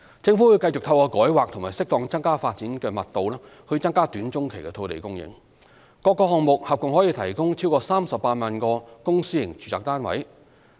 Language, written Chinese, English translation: Cantonese, 政府會繼續透過改劃和適當增加發展密度以增加短中期的土地供應，各個項目合共可提供超過38萬個公私營住宅單位。, The Government will continue to increase land supply in the short - to - medium term through rezoning and suitably increasing the development density . Such projects can provide a total of more than 380 000 public and private residential units